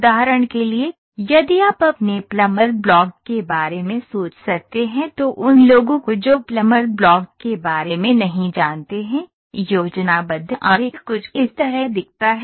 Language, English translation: Hindi, For example, if you can think of your plummer block so those people who are not aware of a plummer block, the schematic diagram looks something like this ok